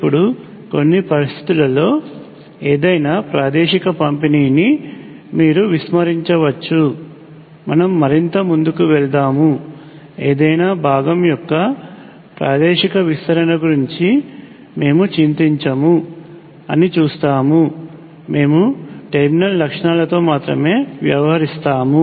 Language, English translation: Telugu, Now it turns out that under certain circumstances, you can ignore the spatial distribution of anything that is as we will go further we will see that we will not worry about spatial extend of any component, we will deal with only the terminal characteristics